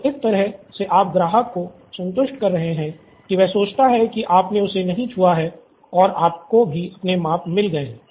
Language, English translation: Hindi, So, that way you are satisfying the customer that he thinks you have not touched him but you’ve still got your measurements